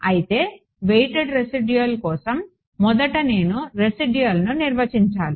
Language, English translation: Telugu, So, first of all for weighted residual I must define the residual